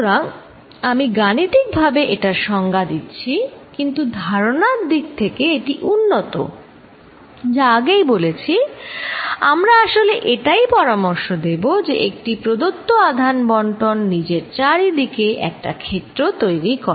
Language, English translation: Bengali, So, that is the way I am defining it mathematically, but conceptually is a advance, as I said, what we are actually suggesting is, given a charge distribution q, it is creating a field around itself